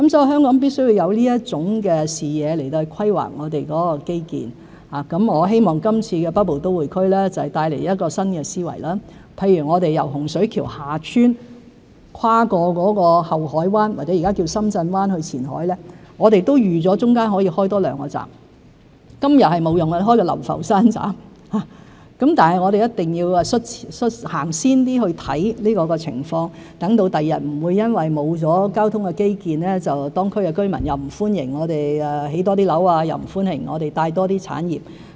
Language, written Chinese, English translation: Cantonese, 香港必須有這種視野來規劃基建，我希望北部都會區計劃會帶來新思維，譬如我們由洪水橋/厦村跨過后海灣——或是現時稱為深圳灣——去前海，我們預計了中間可以多建兩個站，例如流浮山站，雖然今日沒有用途，但我們一定要走前一點看這個情況，讓日後不會因為沒有交通基建而令當區區民不歡迎我們興建多些樓宇，又不歡迎我們引入多些產業。, For example we expect to provide two more stations―such as the Lau Fau Shan Station―between Hung Shui KiuHa Tsuen and Qianhai on the other side of the Deep Bay . While the two stations may not serve any purposes for now we should be more forward - looking in assessing this situation . The new stations will forestall opposition from local residents against the construction of additional buildings and introduction of more industries into the local area on grounds of a lack of transport infrastructure in future